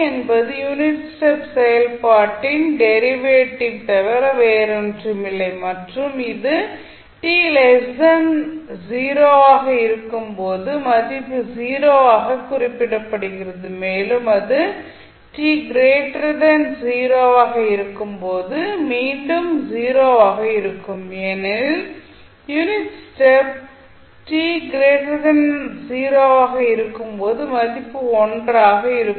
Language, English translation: Tamil, You will say delta t is nothing but derivative of unit step function and it is represented as value 0 when t less than 0 and it is again 0 when t greater than 0 because the unit step function at time t greater than 0 is 1